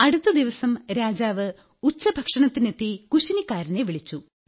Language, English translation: Malayalam, Then next day the king came for lunch and called for the cook